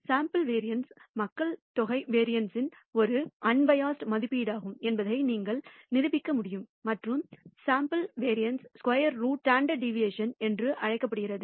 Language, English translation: Tamil, And again you can prove that the sample variance is an unbiased estimated estimate of the population variance and the square root of the sample variance is also known as the standard deviation